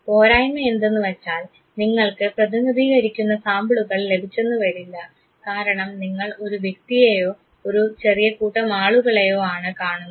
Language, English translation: Malayalam, The limitation is that you may not actually come across representative sample, because you have come across one individual or a small set of individuals